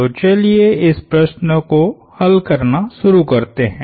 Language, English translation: Hindi, So let start a doing the problem